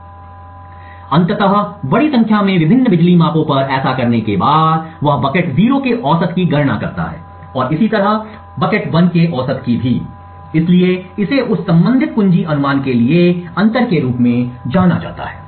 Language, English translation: Hindi, So eventually after doing this over large number of different power measurements he computes the average of bucket 0 and the average of bucket 1, so this is known as the difference of means for that corresponding key guess